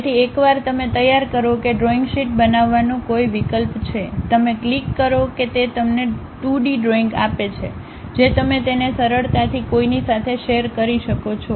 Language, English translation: Gujarati, So, once you prepare that there is option to make drawing sheet, you click that it gives you two dimensional picture which you can easily share it with anyone